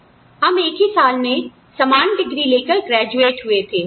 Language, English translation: Hindi, We graduated with the same degree, in the same year